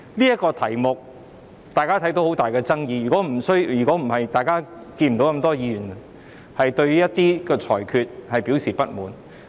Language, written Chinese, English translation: Cantonese, 大家也看到，這議題存在很大的爭議，如果不是，大家也不會看到那麼多議員對於一些裁決表示不滿。, We can see that there have been great controversies over this issue or else we would not have seen so many Members expressing dissatisfaction at some rulings